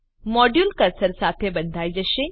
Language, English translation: Gujarati, The module will get tied to cursor